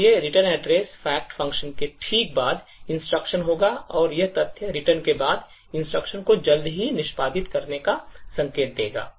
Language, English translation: Hindi, So, the return address would be the instruction just following the fact function and it would indicate the instruction to be executed soon after fact returns